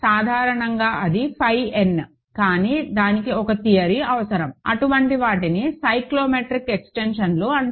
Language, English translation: Telugu, In general that is phi n, but that requires a theorem, these are, such things are called cyclotomic extensions